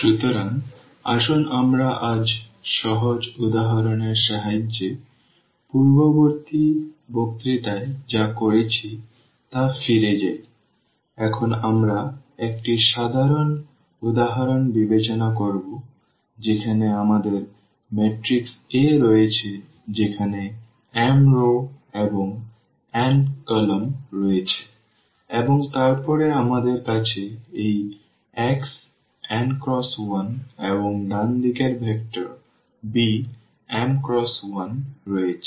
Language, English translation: Bengali, So, let us just go back to this what we have done in the previous lecture with the help of simple example now we will consider a rather general example where we have matrix A which has m rows and n columns and then we have this x n by 1 and the right hand side vector of order this m cross 1